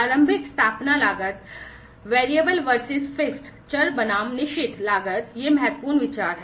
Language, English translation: Hindi, The initial establishment costs, the variable versus fixed costs, these are important considerations